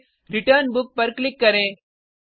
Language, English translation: Hindi, Then click on Return Book